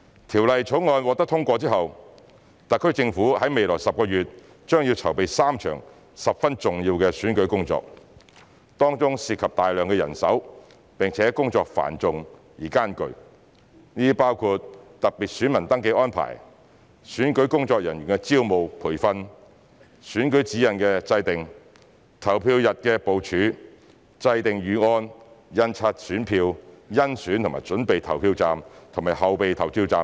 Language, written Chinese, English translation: Cantonese, 《條例草案》獲得通過後，特區政府在未來10個月內將要籌備3場十分重要的選舉工作，當中涉及大量人手並且工作繁重而艱巨，這包括特別選民登記安排、選舉工作人員的招募和培訓、選舉指引的制訂、投票日的部署、制訂預案、印刷選票、甄選及準備投票站和後備票站等。, After the passage of the Bill the SAR Government will need to prepare for three important elections within the 10 months that follow and the process will involve substantial manpower and arduous mammoth tasks including special voter registration arrangements the recruitment and training of election staff the formulation of election guidelines election day planning the preparation of contingency plans the printing of ballot papers and also the selection and arrangement of polling stations and reserve polling stations